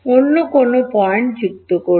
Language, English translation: Bengali, Add any other point